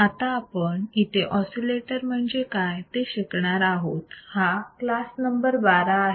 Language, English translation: Marathi, So, right now the modules we will see what the oscillators are, this is class number 12